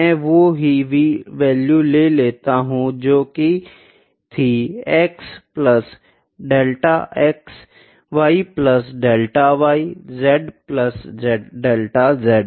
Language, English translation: Hindi, I consider the same values, x plus delta x y plus delta y z plus delta z